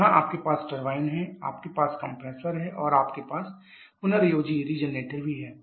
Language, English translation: Hindi, Where you have the turbine we have the compressor and we have the regenerator also